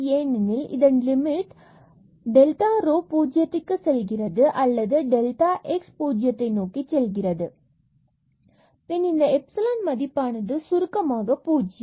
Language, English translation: Tamil, And this epsilon will have property that when we take the limit delta rho go to 0 goes to 0 or delta x, and delta y go to 0 then this epsilon must go to 0, because the limit of this is precisely 0